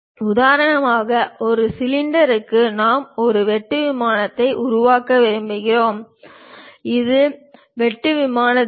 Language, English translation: Tamil, For example, for a cylinder we want to make a cut plane; this is the cut plane direction